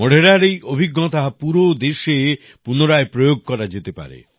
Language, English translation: Bengali, Modhera's experience can be replicated across the country